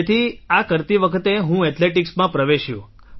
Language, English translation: Gujarati, So gradually, I got into athletics